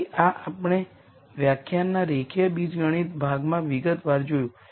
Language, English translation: Gujarati, So, this we saw in detail in the linear algebra part of the lecture